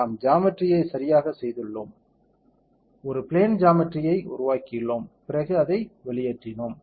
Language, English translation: Tamil, We have gone to the geometry correct, we have made a plane geometry then we have extruded it